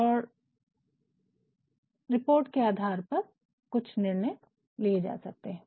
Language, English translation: Hindi, And, based on that report some decisions may be taken